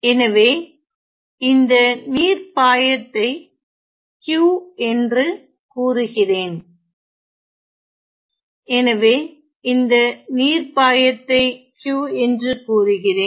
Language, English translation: Tamil, So, let me denote let me denote the water flux Q; so, let me denote the water flux by Q